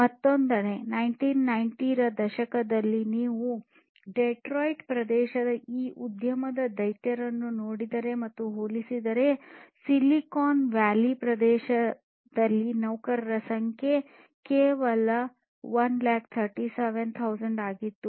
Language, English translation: Kannada, And on the other hand if you look and compare with these industry giants in the Detroit area in 1990s, in the Silicon Valley area the number of employees was only 1,37,000